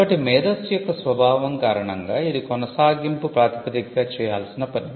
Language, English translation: Telugu, So, because of the very nature of intelligence it has to be done on an ongoing basis